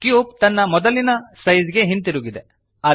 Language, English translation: Kannada, The cube is back to its original size